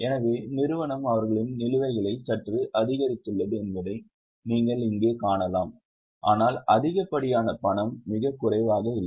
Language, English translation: Tamil, So, you can see here, company has slightly increased their balances, but not too much of cash, not too less of cash